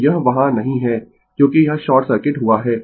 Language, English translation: Hindi, So, this is not there because it is short circuited